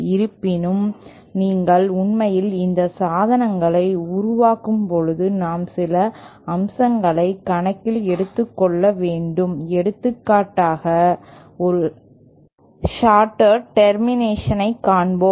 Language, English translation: Tamil, However, when you are actually making these devices, we have to take into account some aspects, for example, let us see a shorted termination